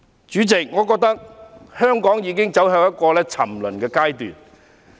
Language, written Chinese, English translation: Cantonese, 主席，我覺得香港已走向一個沉淪的方向。, President I think Hong Kong is heading towards degeneration